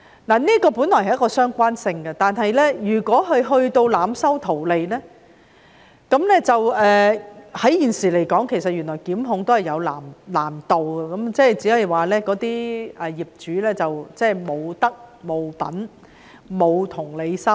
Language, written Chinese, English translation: Cantonese, 這本來有相關性，但如果"劏房"業主濫收費用圖利，現時檢控原來也有難度，只可以指責業主無德、無品、無同理心。, These are interrelated matters but if owners of subdivided units overcharge the fees for profit it is quite difficult to bring prosecutions against them now . We can only accuse such owners of being immoral unethical and lacking empathy